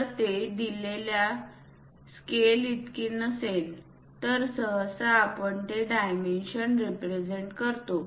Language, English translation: Marathi, If those are not to up to scale then usually, we represent those dimensions